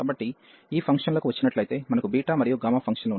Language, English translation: Telugu, So, coming to these functions we have beta and gamma functions